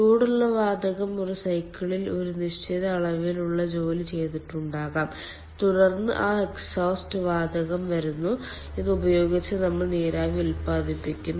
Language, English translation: Malayalam, hot gas is coming, probably that hot gas has done certain amount of ah, certain amount of work in a cycle, and then that exhaust gas is coming and with this we are generating steam